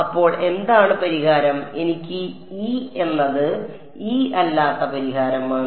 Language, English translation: Malayalam, So, what is the solution what is the kind of solution that I get E is E naught